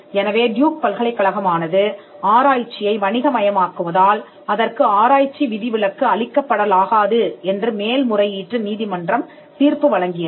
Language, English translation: Tamil, So, the appellate court held that the research exception would not be open to Duke University because, of the fact that it commercializes the technology